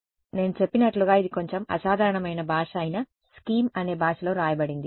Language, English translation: Telugu, So, this is as I mentioned is written in a language called scheme which is a slightly unusual language